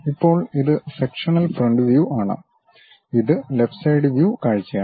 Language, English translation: Malayalam, Now, this is the sectional front view and this is left hand side view